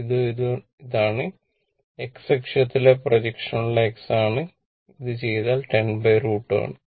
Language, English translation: Malayalam, This one and this one this is the x for the projection on x axis, that is 10 by root 2, if you do it